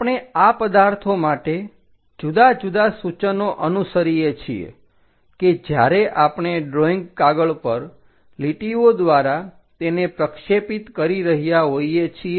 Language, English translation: Gujarati, We follow different notations for these objects, when we are projecting there will be points lines on the drawing sheet